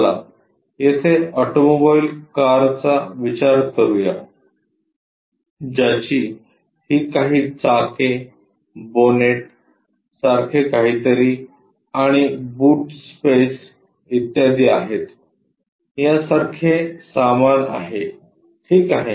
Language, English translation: Marathi, Let us consider there is a automobile car that is this one having some wheels, something like bonnet, and boot space and so on, so stuff ok